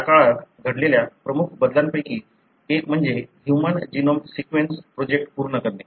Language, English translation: Marathi, One of the major changes that happened during this period is the completion of human genome sequence project